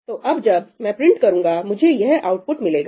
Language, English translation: Hindi, So, now, when I print , I get this output